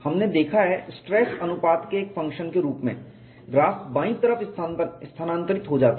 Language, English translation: Hindi, We have seen as a function of stress ratio the graph get shifted to the left